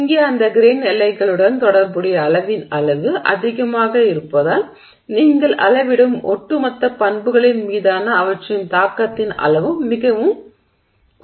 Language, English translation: Tamil, Here because the amount of volume associated with those grain boundaries is high, the extent of their impact on the overall property that you measure is also very significant